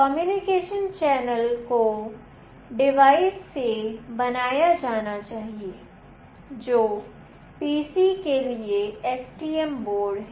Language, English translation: Hindi, The communication channel must be built from the device, that is the STM board, to the PC